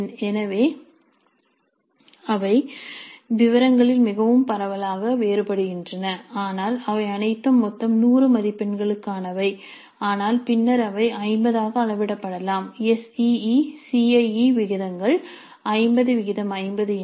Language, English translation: Tamil, So they vary very widely in details but however nearly all of them are for 100 marks in total though later they may be scaled to 50 if the SECE ratios are 50 50 then these 100 marks could be scaled to 50 if they are in the ratio of 20 80 C C